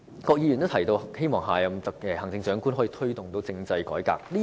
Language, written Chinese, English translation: Cantonese, 郭議員提到希望下任行政長官可以"推動政制改革"。, Mr KWOK also hopes that the next Chief Executive can initiate constitutional reform